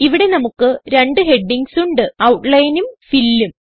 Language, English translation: Malayalam, Here we have two headings: Outline and Fill